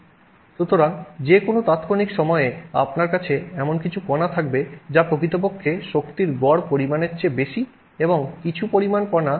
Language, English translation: Bengali, So, therefore at any given instant, you will have some number of particles which are actually having higher than the average amount of energy and some number of particles lower than the average amount of energy